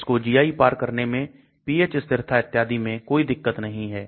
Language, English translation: Hindi, There is no problem about crossing the GI, pH stability all those things